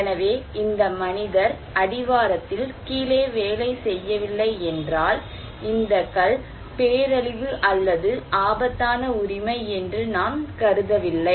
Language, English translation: Tamil, So, if this human being is not working there in the down at the foothills, then this stone is not considered to be disaster or risky right